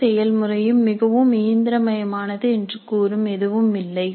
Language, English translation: Tamil, There is nothing which says that the entire process is too mechanical